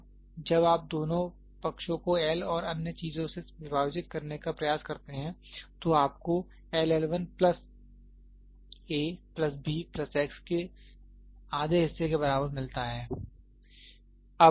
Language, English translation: Hindi, Now when you try to divide both side by L and other things what you get, L equal to L 1 plus a plus b plus half of x